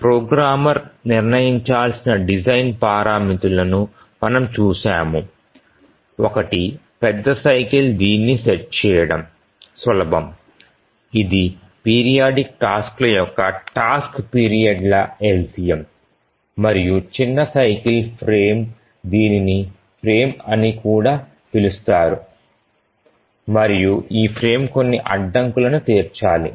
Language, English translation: Telugu, We had seen that the design parameters that need to be decided by the programmer is one is the major cycle which is easy to set which is the LCM of the task periods and the periodic tasks and the minor cycle also called as the frame